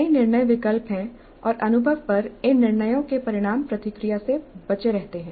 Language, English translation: Hindi, There are many decision choices and the consequences of these decisions on the experience serve as the feedback